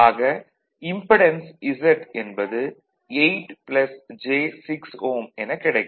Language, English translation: Tamil, Therefore, impedance Z will be 8 plus j 6 ohm